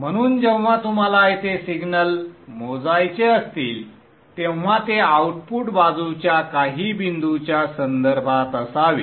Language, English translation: Marathi, So whenever you want to measure a signal here, it should be with respect to some point on the output side